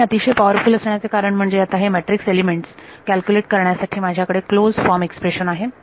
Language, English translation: Marathi, And the reason this is extremely powerful is now I have a closed form expression for calculating the matrix elements